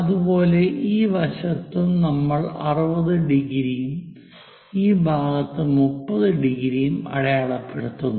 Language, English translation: Malayalam, Similarly, on this side also mark these points 60 degrees, and on this side 30 degrees